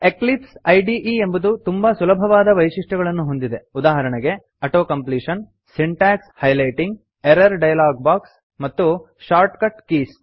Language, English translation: Kannada, Eclipse IDE supports many user friendly features such as Auto completion, Syntax highlighting, Error dialog box, and Shortcut keys